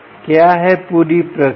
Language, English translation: Hindi, what is the whole process